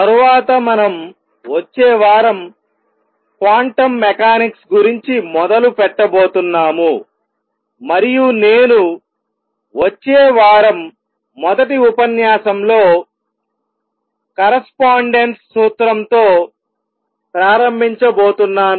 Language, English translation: Telugu, Next, we are going to start the next week the build up to quantum mechanics, and I am going to start with correspondence principal in the first lecture next week